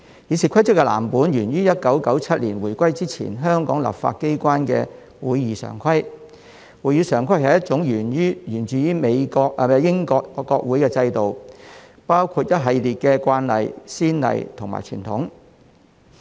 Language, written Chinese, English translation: Cantonese, 《議事規則》的藍本源於1997年回歸前香港立法機關的《會議常規》。《會議常規》是一套源自英國國會的制度，包括一系列的慣例、先例及傳統。, The blueprints of the Rules of Procedure were adopted from the Standing Orders of the pre - 1997 Hong Kong Legislature while the Standing Orders were modelled on the common practice precedence and convention of the Parliament of the United Kingdom